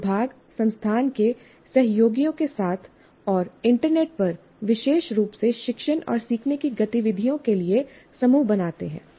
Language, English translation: Hindi, You form groups with colleagues of the department, institute, and on the internet exclusively for teaching and learning activities